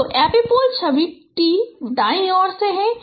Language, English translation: Hindi, So the epipole is image is at t